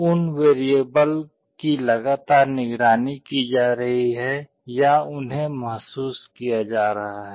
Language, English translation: Hindi, Those variables are being continuously monitored or sensed